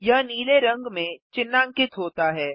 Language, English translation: Hindi, It is highlighted in blue